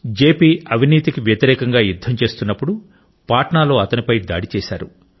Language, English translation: Telugu, When JP was fighting the crusade against corruption, a potentially fatal attack was carried out on him in Patna